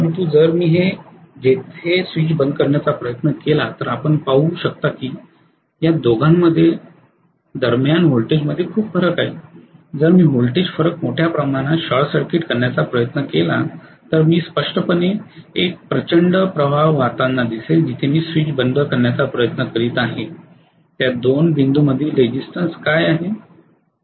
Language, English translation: Marathi, But if I try to close the switch here you can see that between these two there is a huge amount of voltage difference, if I try to short circuit a huge amount of voltage difference I will very clearly see a huge current flowing what is the resistance between those 2 points where I am trying to close the switch